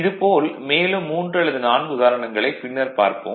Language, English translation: Tamil, Now this one example we will take another 3 or 4 later